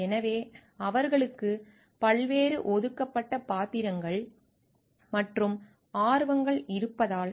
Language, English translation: Tamil, So, because they have so, many of different assigned roles and interests